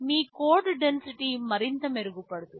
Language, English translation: Telugu, Yyour code density can further improve right